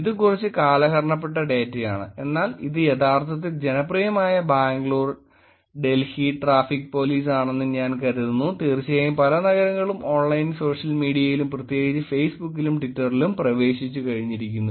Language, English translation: Malayalam, This is slightly outdated data but I think this is Bangalore, Delhi Traffic Police which are actually popular, and of course many cities have actually adopted getting on to Online Social Media and particularly Facebook and Twitter